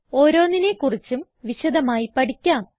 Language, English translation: Malayalam, We will discuss each one of them in detail